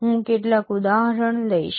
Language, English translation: Gujarati, I will take some example